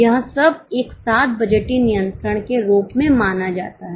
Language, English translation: Hindi, All this together is considered as budgetary control